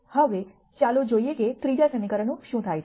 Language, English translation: Gujarati, Now, let us see what happens to the third equation